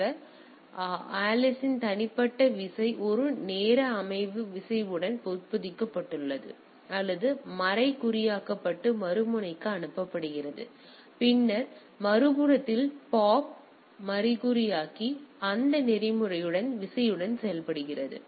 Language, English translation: Tamil, So, Alice private key is embedded or encrypted with a onetime session key and pass to the other end and the on the other end Bob decrypt it and work with that protocol with the key